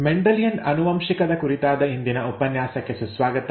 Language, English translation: Kannada, Welcome to the next lecture on Mendelian genetics